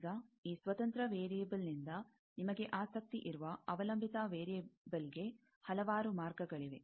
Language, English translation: Kannada, Now, there can be several paths from this independent variable that you are interested, to the dependent variable